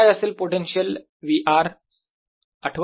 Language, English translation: Marathi, how about the potential v r